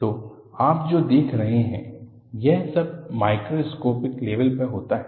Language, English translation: Hindi, So, what you will have to look at is, all of these happen at a microscopic level